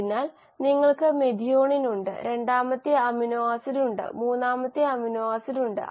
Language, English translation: Malayalam, So you have the methionine, the second amino acid, the third amino acid, right, and the final the fourth amino acid